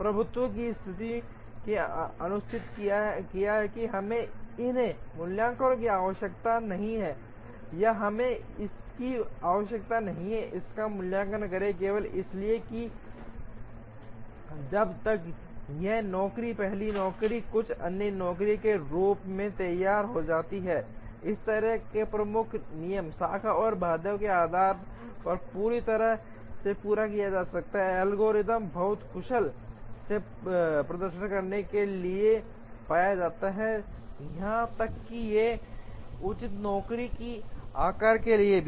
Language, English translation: Hindi, The dominance condition ensured that we need not evaluate this or we need not evaluate this, simply because by the time this job is ready as the first job, some other job can be completed entirely, based on such a dominant rule, the branch and bound algorithm is found to perform very efficiently, even for a reasonable job size